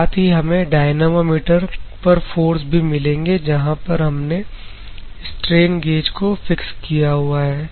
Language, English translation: Hindi, The forces as we have the dynamometers, where the strain gauges are fixed and it will give the forces and other things